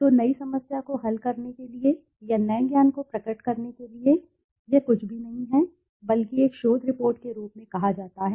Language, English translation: Hindi, So, to solve the new problem or to reveal new knowledge then this is nothing but is called as a research report